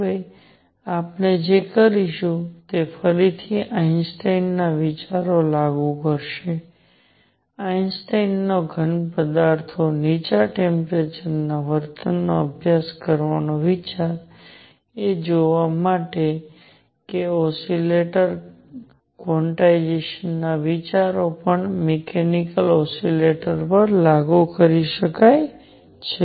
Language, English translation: Gujarati, What we will do next is again apply Einstein ideas; Einstein’s idea to study the low temperature behavior of solids to see that the ideas of quantization of an oscillator can also be applied to mechanical oscillators